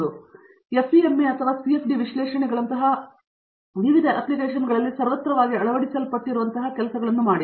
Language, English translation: Kannada, Or do things like FEM or CFD and analysis which are computational tools that are ubiquitously adopted in lots of different applications